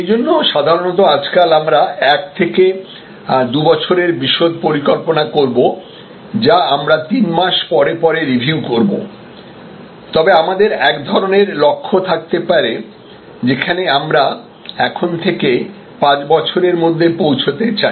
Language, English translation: Bengali, So, normally these days we will do 1 to 2 years detailed plan which we will review every quarter, but we may have a kind of a Lakshya some aim, where we want to be in 5 years from now